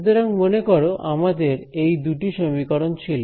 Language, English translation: Bengali, So, let us formally these integral equations